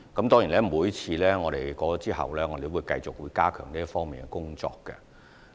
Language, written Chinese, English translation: Cantonese, 當然，每次選舉過後，我們也會繼續加強這方面的工作。, Of course following each election we will continue to step up the relevant work